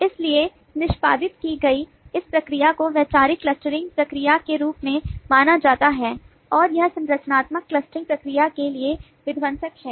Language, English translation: Hindi, so this process, as executed, is known as the conceptual clustering process, and it is subversive to the structural clustering process